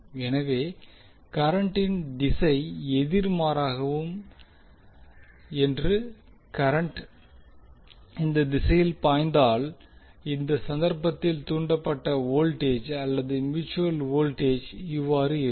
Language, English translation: Tamil, So suppose if the direction of the current is opposite and current is flowing from this side in that case the polarity of the voltage that is induced mutual voltage would be like this